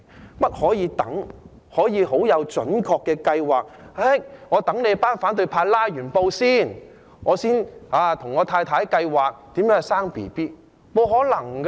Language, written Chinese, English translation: Cantonese, 難道可以等待、可以準確地計劃，等反對派"拉布"後再跟太太計劃如何生小孩嗎？, Can they really wait and plan accurately? . Can husbands plan with their wives on giving birth to children only after the opposition camp has done with their filibustering?